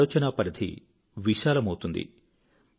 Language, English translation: Telugu, Your thinking will expand